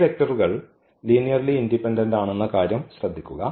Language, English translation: Malayalam, So, all these vectors are linearly independent